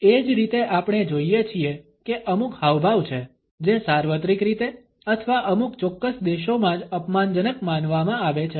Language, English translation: Gujarati, Similarly, we find that there are certain gestures, which are considered to be offensive either universally or in some particular countries only